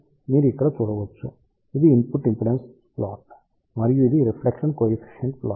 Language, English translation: Telugu, So, you can see here this is the input impedance plot and this is the reflection coefficient plot